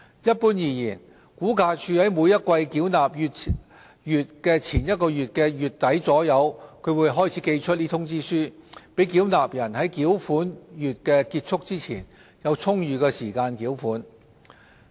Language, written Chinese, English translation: Cantonese, 一般而言，估價署在每季繳款月前一個月的月底左右開始寄出通知書，讓繳納人在繳款月結束前有充裕時間繳款。, In general RVD starts sending out the demand notes around the end of the month preceding the payment month of each quarter so that payers will have ample time to settle the payment before the end of the payment month